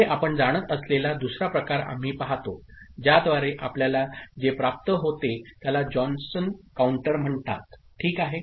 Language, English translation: Marathi, Next, we look at another type of you know, feedback by which what we get is called Johnson counter, ok